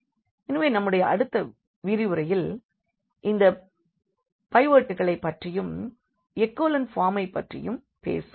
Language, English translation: Tamil, So, we will be talking about in the next lecture more about these pivots and echelon form